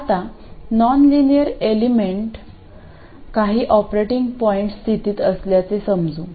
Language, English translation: Marathi, Now let's say the nonlinear element is in some operating point condition